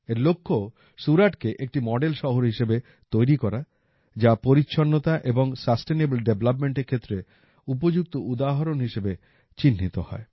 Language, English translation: Bengali, Its aim is to make Surat a model city which becomes an excellent example of cleanliness and sustainable development